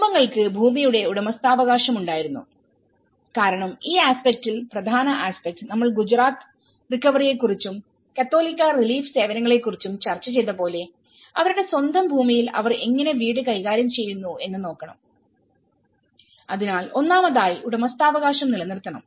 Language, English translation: Malayalam, And the families held the ownership of the land because in this aspect the main important aspect and the Gujarat recovery also we did discussed about the catholic relief services how they manage the housing in their own land because first of all, the sense of ownership is retained as it is okay